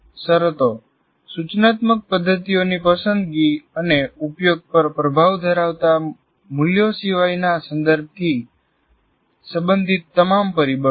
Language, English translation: Gujarati, Conditions, all factors related to the context other than values that have influence on the choice and use of instructional methods